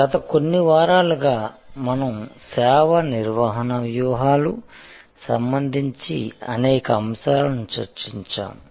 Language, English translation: Telugu, In the over the last few weeks, we have covered several elements of service management strategies